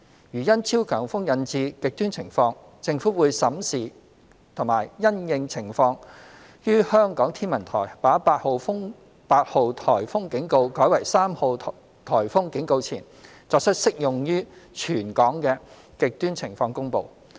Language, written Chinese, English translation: Cantonese, 如因超強颱風引致"極端情況"，政府會審視及因應情況，於香港天文台把8號颱風警告改為3號颱風警告前，作出適用於全港的"極端情況"公布。, In the event of extreme conditions caused by super typhoon the Government will review the situation and may depending on the circumstances make a territory - wide extreme conditions announcement before the Hong Kong Observatory replaces Typhoon Warning Signal No . 8 T8 with Typhoon Warning Signal No . 3